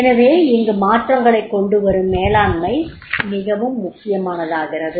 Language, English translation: Tamil, So therefore the change change management that becomes very, very important